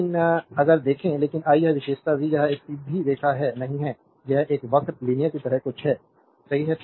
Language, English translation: Hindi, But if you see, but this characteristic v by i, it is not from not a straight line it is some kind something like a curve linear, right